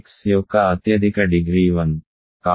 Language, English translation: Telugu, The highest degree of x is 1